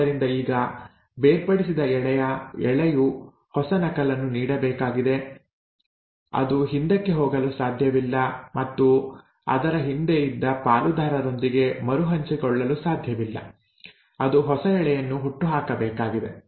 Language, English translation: Kannada, So, now this separated strand has to give a new copy, it cannot go back and reanneal with its partner which was there earlier, it has to give rise to new strand